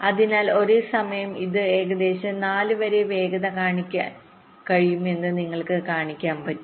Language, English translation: Malayalam, so you can see, in the same time i am able to have a speed up of about four